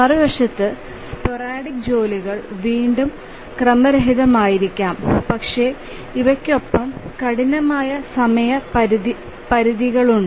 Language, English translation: Malayalam, On the other hand there may be sporadic tasks which are again random but these have hard deadlines with them